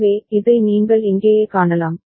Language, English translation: Tamil, So, this is what you can see over here right